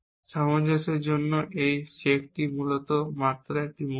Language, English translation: Bengali, This check for consistency is basically just a moment